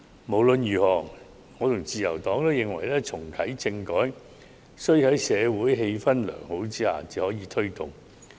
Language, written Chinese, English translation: Cantonese, 無論如何，我和自由黨均認為，在良好的社會氣氛下才能推動重啟政改。, Anyway both the Liberal Party and I believe that good social atmosphere is necessary for the reactivation of constitutional reform